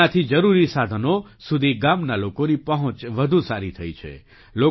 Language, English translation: Gujarati, This has further improved the village people's access to essential resources